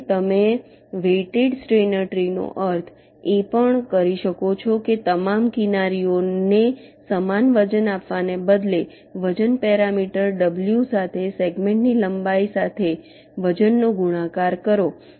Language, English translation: Gujarati, a weighted steiner tree is means: instead of giving equal weights to all the edges, you multiply ah, the weight with a, the length of a segment, with a weight parameter w